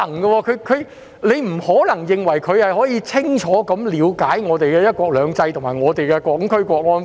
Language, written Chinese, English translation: Cantonese, 我們不可能認為他能夠清楚了解香港的"一國兩制"和《香港國安法》。, We cannot possibly assume that he has a good understanding of Hong Kongs one country two systems and National Security Law